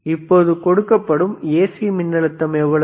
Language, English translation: Tamil, right nNow this what AC voltage is this